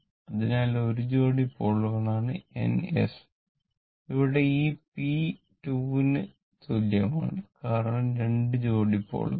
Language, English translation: Malayalam, So, it is 1 pair of pole that is N and S and here this p is equal to 2 because 2 pairs of poles right